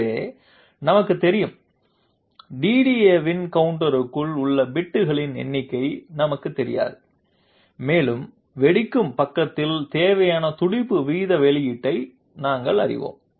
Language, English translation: Tamil, So we know F, we do not know the number of bits inside the counter of the DDA and we know the required pulse rate output at the detonation side